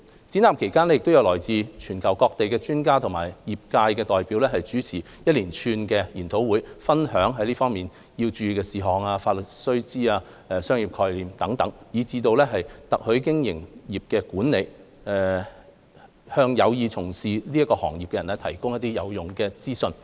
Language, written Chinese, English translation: Cantonese, 展覽期間，來自全球各地的專家及業界代表主持一連串研討會，分享在這方面需要注意的事項、法律須知、商業概念，以至特許經營業務管理，向有意從事特許經營的人士提供有用的資訊。, During the Show a series of seminars were hosted by experts and industry representatives from around the world to provide useful information to anyone interested in taking part in franchising by sharing important points to note legal issues business concepts as well as business management relevant to franchising operation